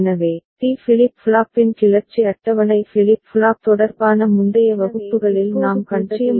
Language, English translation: Tamil, So, this is the way the excitation table of D flip flop we have seen in earlier classes related to flip flop, alright